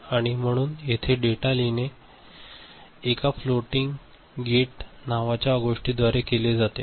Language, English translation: Marathi, And so, here the data writing is done through something called a floating gate ok